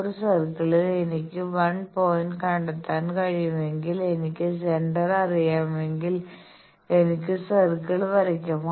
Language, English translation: Malayalam, In a circle if I can find out 1 point and if I know the centre I can draw the circle